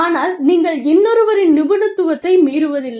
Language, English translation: Tamil, But, you do not infringe, on the expertise of another